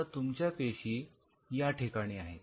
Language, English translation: Marathi, Now you are cells are sitting out here